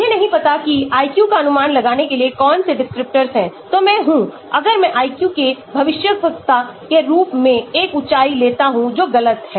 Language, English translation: Hindi, I do not know which descriptors to select to predict the IQ, so I am; if I take a height as a predictor of IQ that is wrong